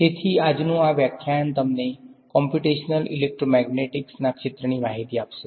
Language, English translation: Gujarati, So today’s class is going to give you an overview of the field of Computational Electromagnetics